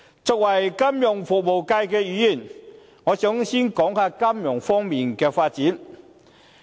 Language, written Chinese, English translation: Cantonese, 作為金融服務界議員，我想先談談金融方面的發展。, As a Member from the financial services sector first of all I would like to talk about financial services development